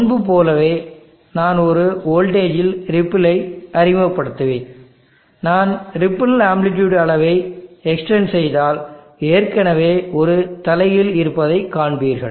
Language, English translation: Tamil, And as before I will introduce the ripple on a voltage and if I extent the ripple amplitude you will see that there is an inversion already